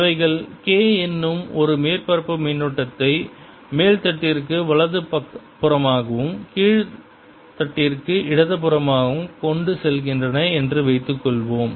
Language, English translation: Tamil, the magnitude suppose now they also carry a surface current, k, going to the right side in the upper plate and to the left in the lower plate